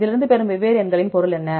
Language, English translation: Tamil, From this one you can what is meaning of these different numbers